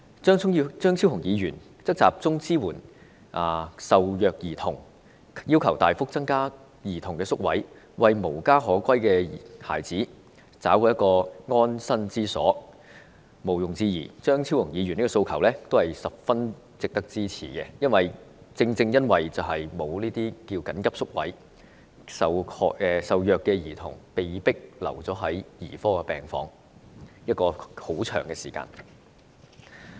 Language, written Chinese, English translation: Cantonese, 張超雄議員則建議集中支援受虐兒童，要求大幅增加兒童宿位，為無家可歸的孩子找來安身之所，毋庸置疑，張超雄議員的訴求都是十分值得支持，正正由於沒有這些緊急宿位，受虐兒童往往被迫長時間留在兒科病房。, Dr Fernando CHEUNG suggests focusing the support on abused children and requests a substantial increase in the number of residential placements for children to give a dwelling for children who cannot return to their home . Undoubtedly Dr Fernando CHEUNGs requests are worth our support . Precisely because there is no such urgent placements for abused children they are forced to lengthen their stay in children wards